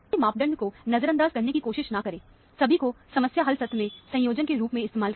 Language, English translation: Hindi, Do not try to ignore any of these parameters; use all of them in conjunction, to do, in problem solving session